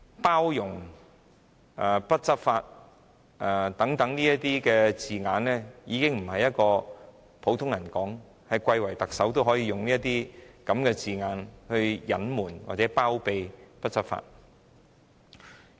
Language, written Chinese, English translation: Cantonese, "包容"、"不執法"等字眼已經不再是出自普通人口中，貴為特首也會利用這些字眼隱瞞或包庇不執法的情況。, Such terms as forbearance and non - enforcement do not come from the mouth of ordinary people but from our honourable Chief Executive who used them to gloss over or harbour the authorities non - enforcement of the law